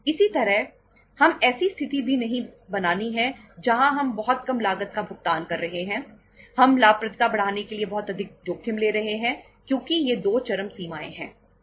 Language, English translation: Hindi, Similarly, we are also not to create a situation where we are paying a very low cost, we are taking very high level of risk for the sake of increasing the profitability because these are the 2 extremes